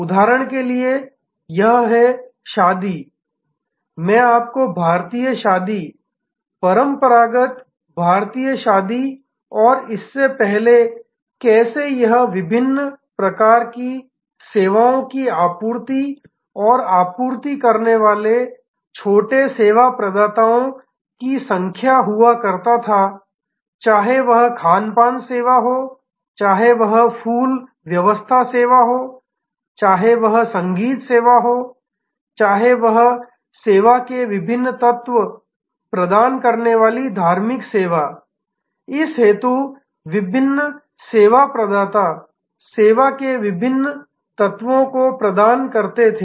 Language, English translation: Hindi, For example, this wedding I would like you to study Indian wedding, traditional Indian wedding and how earlier it used to be number of small service providers coming and supplying different types of services, whether it is catering service, whether it is flower arrangement service, whether it is a music service, whether it is the religious service different service providers providing different elements of the service